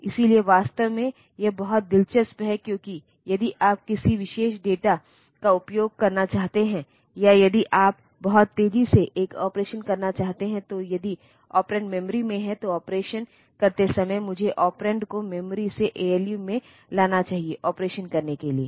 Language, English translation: Hindi, And so, actually this is very interesting because for so, if you want to access a particular data or if you want to do and do an operation very fast, then if the operands are in memory then while doing the operation I should bring the operands from the memory to the ALU for doing the operation